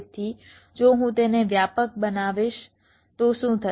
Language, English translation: Gujarati, so if i make it wider, what will happen